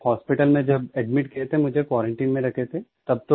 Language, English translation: Hindi, When I was admitted to the hospital, they kept me in a quarantine